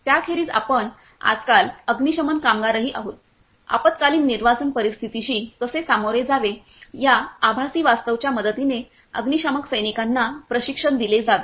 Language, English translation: Marathi, Apart from that we are nowadays fire workers are also; fire fighters are also trained with the help of virtual reality how to tackle with the emergency evacuation situations